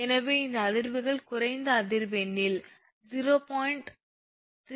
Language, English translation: Tamil, So, these vibrations are of at low frequencies that is 0